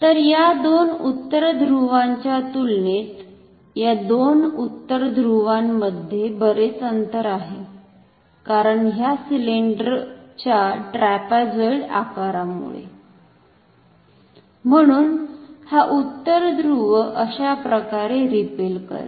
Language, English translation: Marathi, So, this two North Pole have a larger distance between them compared to these two North Poles, because of this trapezoidal shape of this cylinder; therefore, this North Pole will be repelled like this